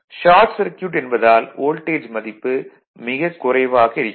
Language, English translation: Tamil, high volt because, short circuit test it require very low voltage right